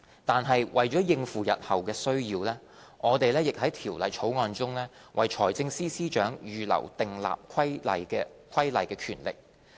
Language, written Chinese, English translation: Cantonese, 但是，為應付日後需要，我們在《條例草案》中為財政司司長預留訂立規例的權力。, However to cater for future needs we have reserved a regulation making power for the Financial Secretary under the Bill